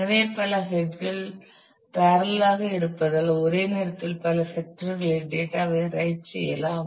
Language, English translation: Tamil, So, many heads being in parallel the data can be written on to multiple sectors at the same time and so, for doing that